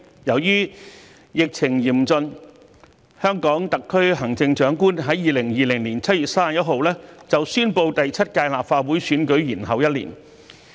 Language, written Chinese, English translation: Cantonese, 由於疫情嚴峻，香港特區行政長官在2020年7月31日宣布把第七屆立法會選舉延後一年。, Due to the severe epidemic situation the Chief Executive of HKSAR announced on 31 July 2020 the postponement of the election of the Seventh Legislative Council for one year